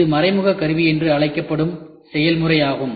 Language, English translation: Tamil, So, this is an example of indirect tooling